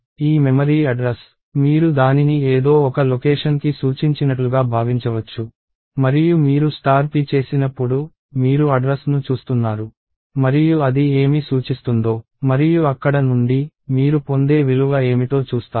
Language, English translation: Telugu, And this memory address, you can think of it as pointing to some location and when you do star p, you are looking at the address and what it is pointing to and from there, what is the value that you get